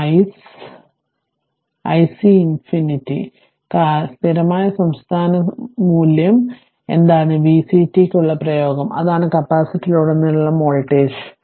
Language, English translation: Malayalam, And i c infinity what is the this i c infinity, what is the steady state value also derive expression for v c t, that is the voltage across the capacitor